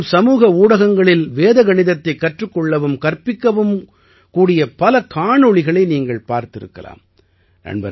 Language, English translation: Tamil, You must have seen videos of many such youths learning and teaching Vedic maths on social media these days